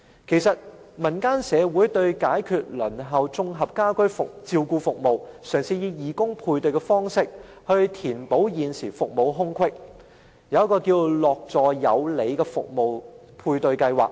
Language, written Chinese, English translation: Cantonese, 就此，民間社會為解決輪候綜合家居照顧服務的情況，嘗試以義工配對方式，填補現時的服務空隙，推出一個名為"樂助有里"服務配對計劃。, To alleviate the long queue for integrated home care services some people in the community initiated a service matching scheme in the neighbourhood through volunteer matching to fill the service gap